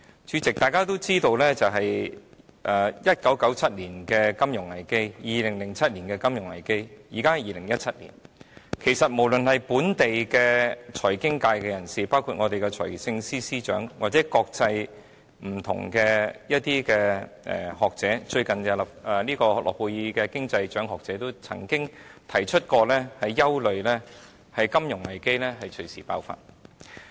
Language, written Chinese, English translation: Cantonese, 主席，大家都知道 ，1997 年曾出現金融危機 ，2007 年亦曾出現金融危機，而現在是2017年，其實無論是本地財經界人士，包括我們的財政司司長或不同的國際學者，例如最近獲諾貝爾經濟學獎的學者，均曾表示憂慮金融危機隨時爆發。, As we all know President a financial crisis took place in 1997 and another one took place in 2007 and it is 2017 now . In fact members of the local financial services sector including our Financial Secretary or international academics such as the scholar who won the Nobel Prize in Economic Sciences recently have all expressed concern about the onset of a financial crisis anytime